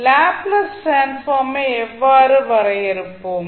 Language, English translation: Tamil, Now, how we will define the Laplace transform